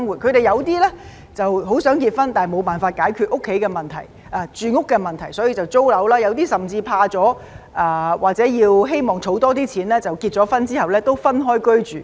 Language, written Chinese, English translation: Cantonese, 他們有些很想結婚，但無法解決住屋的問題，於是便要租樓，有些人甚至被嚇怕，又或希望多儲蓄而在婚後亦要分開居住。, Some of them who wish to get married cannot solve their housing problem and have to rent a flat; and some of them are even deterred or after getting married a couple has to live separately in the hope of saving up more money